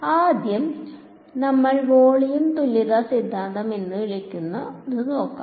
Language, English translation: Malayalam, So, first we look at what is called the volume equivalence theorem